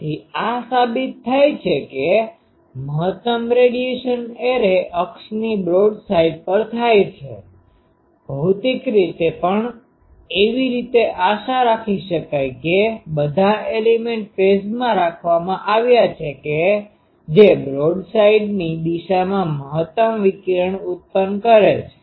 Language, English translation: Gujarati, So, it is proved that; the maximum radiation occurs broadside to the array axis, physically also this is expected as all elements fed in phase should be producing maximum radiation along the broadside